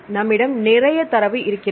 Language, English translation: Tamil, We guess we have plenty of data